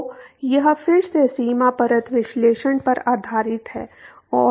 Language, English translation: Hindi, So, that is again based on the boundary layer analysis and